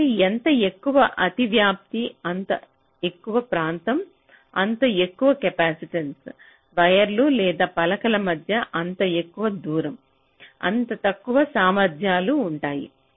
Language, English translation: Telugu, so greater the overlap, greater is the area, higher will be the capacitance, greater the distance between the wires or the plates, lower will be the capacities